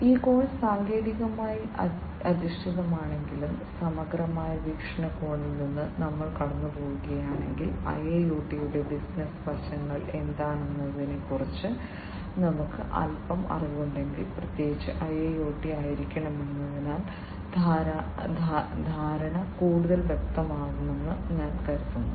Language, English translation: Malayalam, Although this course is technically oriented, but from a holistic perspective, I think the understanding will be clearer, if we go through, if we have little bit of knowledge about what are the business aspects of IIoT, and particularly because IIoT is supposed to be used in the industrial settings